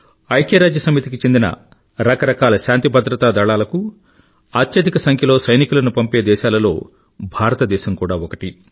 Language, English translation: Telugu, Even today, India is one of the largest contributors to various United Nations Peace Keeping Forces in terms of sending forces personnel